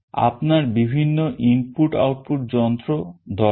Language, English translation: Bengali, You require various other input output devices